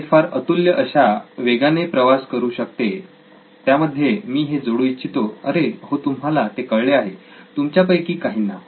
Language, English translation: Marathi, It travels fast incredibly fast, I might add, oh yes you have got it, some of you